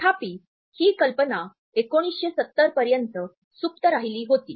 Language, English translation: Marathi, However, this idea had remained dormant till 1970s